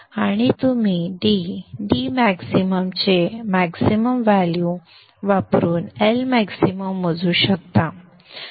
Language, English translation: Marathi, This would be the value of the index and you can calculate the L max using maximum value of D max